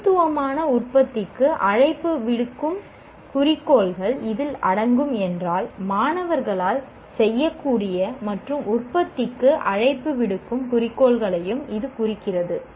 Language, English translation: Tamil, While it includes objectives that call for unique production also refers to objectives calling for production that students can and will do